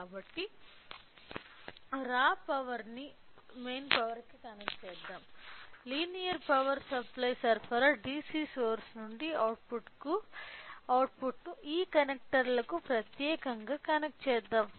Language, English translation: Telugu, So, let me connect let me connect the raw power to the main power sorry let me connect the output from the linear power supply DC source to this particular to this connectors